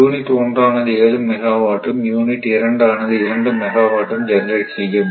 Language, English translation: Tamil, This is unit 2 is 2 megawatt unit1 is generating 7 megawatt, right